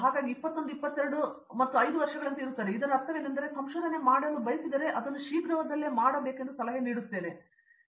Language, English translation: Kannada, So, there will be like 21, 22 and 5 years, I mean I mean if they want to do the research I think I would advise them to do soon